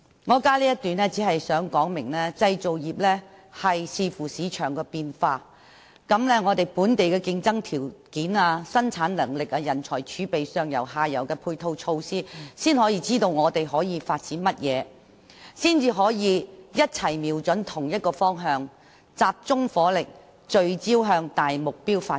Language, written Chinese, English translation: Cantonese, 我加入這一段，旨在說明製造業須視乎市場變化，如本地競爭條件、生產能力、人才儲備、上游和下游的配套措施，才能知道可以發展的方向，共同瞄準同一方向，集中火力，聚焦向大目標發展。, With this paragraph I seek to explain that the manufacturing industries will only come to see the direction they should be heading having regard to market changes such as domestic conditions of competition productivity pool of talent and ancillary measures upstream and downstream thereby jointly aiming at the same target and progressing towards the common goal in a focused manner with concentrated effort